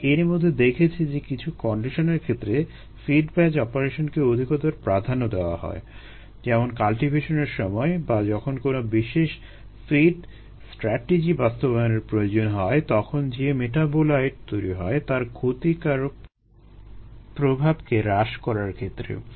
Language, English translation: Bengali, we have already seen that the fed batch operation is is preferred under some conditions, such as minimizing the deleterious effect of a metabolite formed during the cultivation or when some specials feed strategies need to be implemented